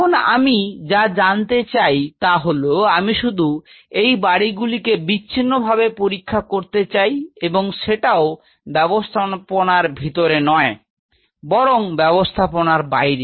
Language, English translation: Bengali, Now what I am asking is that I only wanted to study these houses in isolation and that to not in this system outside the system